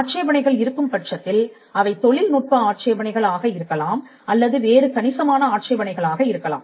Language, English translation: Tamil, But most likely there are if there are any objections either it could be technical objections, or it could be some substantial objection